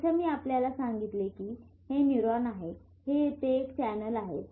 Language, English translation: Marathi, As I told you this is a neuron